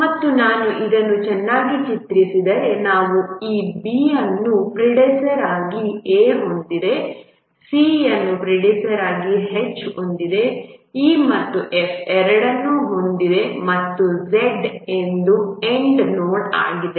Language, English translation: Kannada, So, we have this A has, B has A as predecessor, C has A's predecessor, H has both E and F and Z is a N node